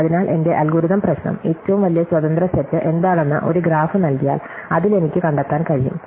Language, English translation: Malayalam, So, this my algorithmic problem, given a graph what is the largest independent set, that I can find in it